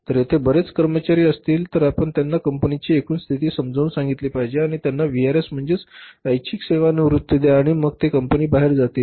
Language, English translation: Marathi, If more employees are there so you make them understand the company's overall position and give them the VRS voluntary retirement and then they should be leaving the company going out